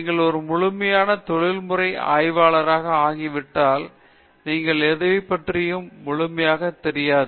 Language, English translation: Tamil, When you become a fully professional researcher, then you know completely about nothing